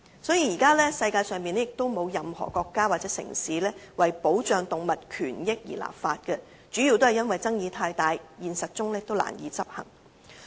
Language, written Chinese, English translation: Cantonese, 因此，現時世界上並沒有任何國家或城市為保障動物權益而立法，主要的原因是爭議太大，現實中難以執行。, Therefore no country or city in this world has enacted any legislation to safeguard animal rights mainly because the issue is too controversial and is difficult to put into practice in reality